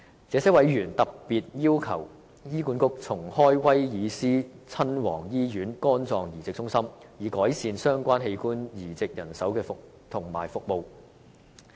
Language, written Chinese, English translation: Cantonese, 這些委員特別要求醫管局重開威爾斯親王醫院肝臟移植中心，以改善相關器官移植人手及服務。, In particular these members request that HA re - open the liver transplant centre in the Prince of Wales Hospital so as to improve the manpower situation and organ transplantation services